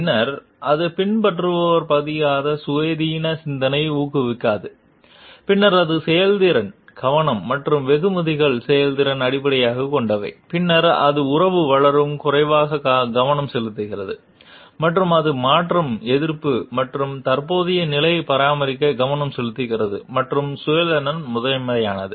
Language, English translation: Tamil, Then it does not encourage independent thinking on part of the follower, then it is a performance is the focus and the rewards are based on the performance then it is a less focus on developing the relationship and it is a resistance to change and focuses on maintaining the status quo and self interest is primary